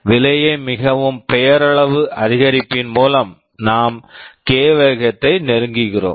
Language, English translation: Tamil, By very nominal increase in cost we are achieving close to k speed up